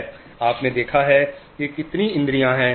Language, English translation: Hindi, You have, see how many senses are there